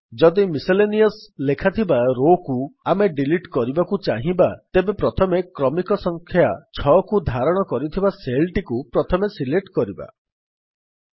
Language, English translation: Odia, For example, if we want to delete the row which has Miscellaneous written in it, first select the cell which contains its serial number which is 6